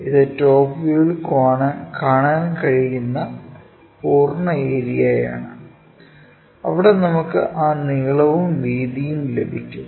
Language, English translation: Malayalam, The complete area one can really see it in the top view, where we have that length and also breadth